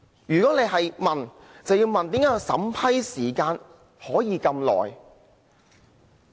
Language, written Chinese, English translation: Cantonese, 如果大家要問，就要問為何審批時間會這麼長？, If we have a question to ask it should be Why it takes such a long time for the vetting and approval process?